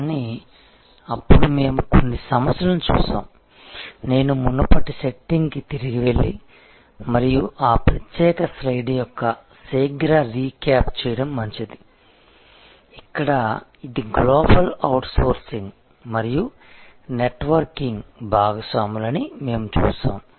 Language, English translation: Telugu, But, then we saw based on some of the issues, I can go back to the previous setting and may be it will be good to do a quick recap of that particular slide is, where we looked at that this is the global outsourcing and networking partners